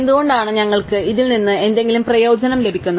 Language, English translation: Malayalam, So, why do we get some benefit from this